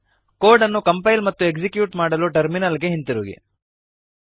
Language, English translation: Kannada, Coming back to the terminal to compile and execute the code